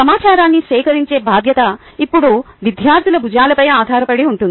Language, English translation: Telugu, the responsibility for gathering information now rest squarely on the shoulders of the students